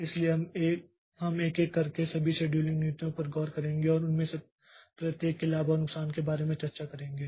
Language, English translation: Hindi, So, we'll look into this each of the scheduling policies one by one and discuss about the pros and cones of each of them